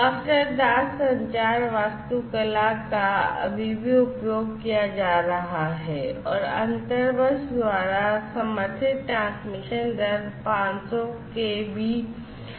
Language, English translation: Hindi, Master slave communication architecture like, before is still being used and the transmission rate that is supported by inter bus is 500 kbps